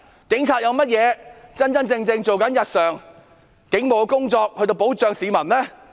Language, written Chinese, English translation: Cantonese, 警察日常做了甚麼警務工作來保障市民呢？, What police duties have the Police Force performed daily to protect the citizens?